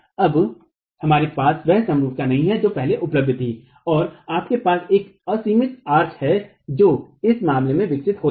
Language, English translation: Hindi, Now you don't have the symmetry that was earlier available and you have an unsymmetric arts that develops in this case